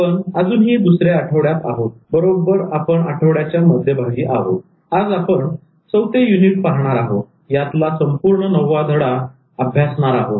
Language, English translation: Marathi, We are in the middle of the week and we are today going to deal with the fourth unit and this is on the whole lesson number nine